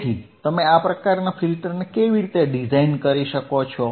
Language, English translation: Gujarati, So, how you can design this kind of filter right, that is the question